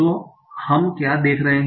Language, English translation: Hindi, So what we can see that